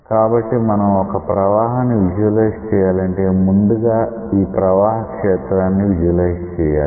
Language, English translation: Telugu, So, when you want to visualize a flow say, this is the flow field you want to visualize a flow